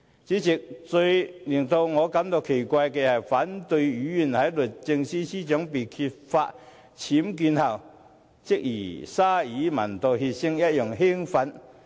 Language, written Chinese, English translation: Cantonese, 主席，最令我感到奇怪的是，反對派議員在律政司司長被揭發僭建後，即如同鯊魚聞到血腥一樣興奮。, President I am most perplexed that following the disclosure of the UBWs incident of the Secretary for Justice opposition Members were like sharks excited by the smell of blood